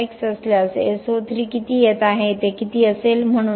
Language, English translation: Marathi, How much of SO3 is coming if there is NOx how much it would be